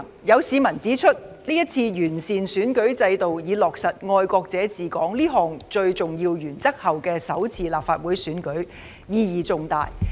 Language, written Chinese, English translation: Cantonese, 有市民指出，這是完善選舉制度以落實"愛國者治港"這項最重要的原則後的首次立法會選舉，意義重大。, Some members of the public have pointed out that this Election has a significant meaning in that it is the first LegCo election to be held after the electoral system has been improved to implement the most fundamental principle of patriots administering Hong Kong